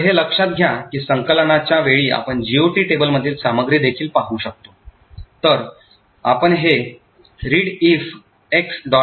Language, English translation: Marathi, So, note that, we can also look at the contents of the GOT table at the time of compilation, so we can do this by using the command readelf – x